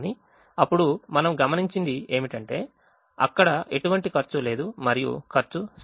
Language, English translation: Telugu, but then we observe that there are no costs that are zero